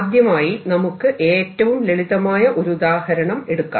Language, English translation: Malayalam, let us start with the simplest example